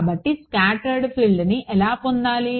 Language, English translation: Telugu, So, how to get the scattered field